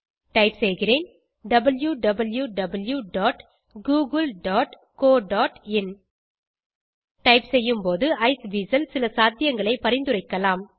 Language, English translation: Tamil, I will type www.google.co.in As I type, Iceweasel may suggest a few possibilities